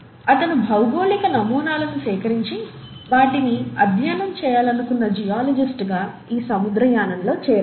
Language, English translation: Telugu, He essentially joined this voyage as a geologist who wanted to collect geological specimens and study them